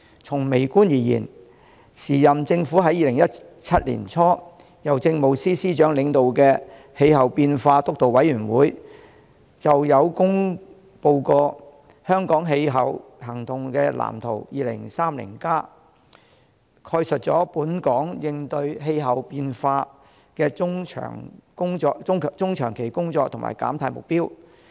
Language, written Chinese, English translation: Cantonese, 從微觀而言，現屆政府在2017年年初，由政務司司長領導的氣候變化督導委員會制訂《香港氣候行動藍圖 2030+》，概述本港應對氣候變化的中長期工作和減碳目標。, From a micro perspective the current Government released in early 2017 Hong Kongs Climate Action Plan 2030 formulated by the Steering Committee on Climate Change chaired by the Chief Secretary for Administration outlining Hong Kongs longer - term action in combating climate change and setting out the carbon emission reduction target